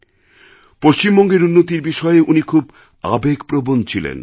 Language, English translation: Bengali, He was very passionate about the development of West Bengal